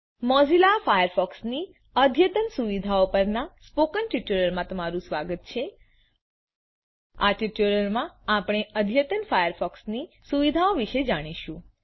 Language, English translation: Gujarati, Welcome to the tutorial on advanced firefox features in Mozilla Firefox In this tutorial, we will learn about Advanced firefox features